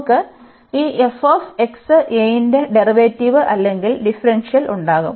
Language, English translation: Malayalam, And now we will take the derivative or we will differentiate this with respect to a